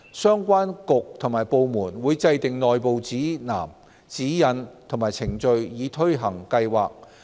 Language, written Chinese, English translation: Cantonese, 相關局及部門會制訂內部指南、指引及程序以推行計劃。, The relevant government bureaux and departments will establish internal guidance guidelines and procedures to implement the Programme